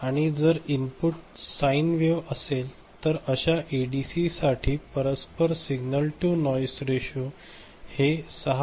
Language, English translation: Marathi, And if the input is sine wave ok, then the corresponding signal to noise ratio for such ADC can be calculated as 6